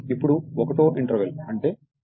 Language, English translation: Telugu, Now interval one that is 10 hours load is 3 by 0